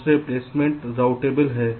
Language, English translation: Hindi, secondly, the placement is routable